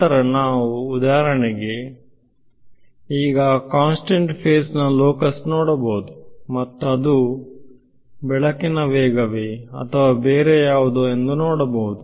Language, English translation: Kannada, Then we can for example, in that condition look at the locus of constant phase and see is it speed of light or is it something else ok